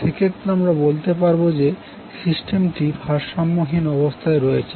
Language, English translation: Bengali, So in that case, we will say that the system is unbalanced